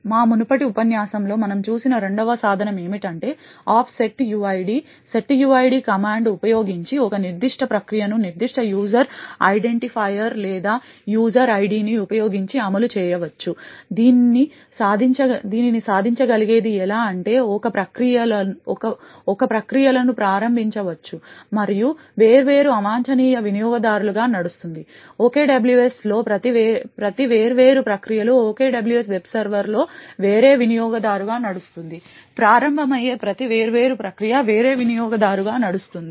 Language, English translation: Telugu, The second tool what we have seen in our previous lecture as well is that off setuid, using the setuid command, a particular process can be run using a specific user identifier or user ID using this what can be achieved is that a processes can be started and run as different unprivileged users, in OKWS each of the different processes are run as a different user in the OKWS web server each of the different process that gets started is run as a different user